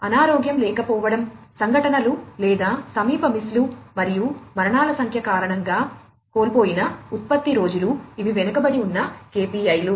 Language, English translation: Telugu, Production days lost due to sickness absence, incidents or near misses, and number of fatalities, these are the lagging KPIs